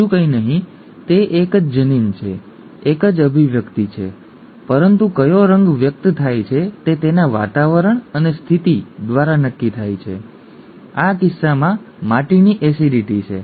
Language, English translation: Gujarati, Nothing else, it is a same gene, same expression and so on and so forth but which colour is expressed determined is determined by its environment and condition, in this case the soil acidity, okay